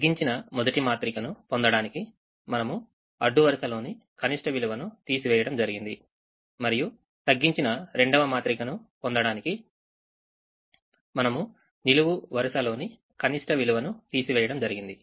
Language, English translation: Telugu, we subtracted the row minimum to get the first reduced matrix and then we subtracted the column minimum to get the second reduced matrix part